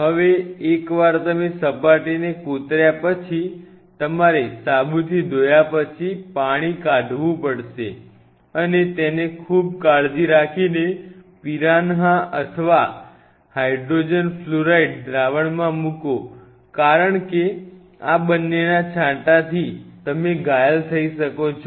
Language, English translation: Gujarati, So, you just have to drain the water after washing after soap wash and in that put the piranha or the HF solution just be extremely careful because both of these are really splash you will become injured